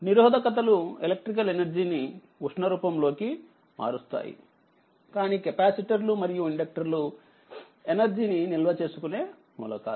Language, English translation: Telugu, So, resistors convert your current your convert electrical energy into heat, but capacitors and inductors are energy storage elements right